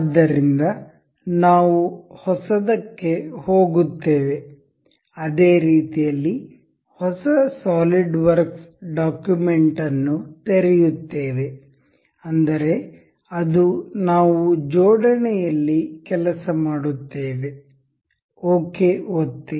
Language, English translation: Kannada, So, we will go by new in the same way we will open a new solidworks document that is we will work on assembly, click ok